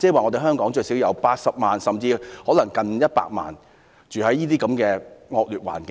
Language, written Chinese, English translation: Cantonese, 即是說香港最少有80萬名市民，更甚可能有約100萬名市民居住在惡劣環境中。, That means there are at least 800 000 people or even more than 1 million people living in very poor conditions in Hong Kong